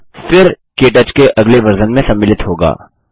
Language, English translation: Hindi, It will then be included in the next version of KTouch